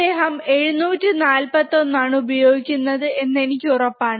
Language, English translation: Malayalam, So, I am sure that he is using 741, alright